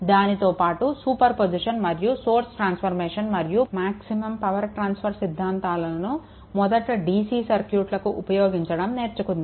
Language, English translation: Telugu, Apart from that will learn super position theorem then your source transformation and the maximum power transfer condition right for the your for the dc circuit first